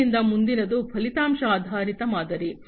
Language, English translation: Kannada, The next one is the outcome based model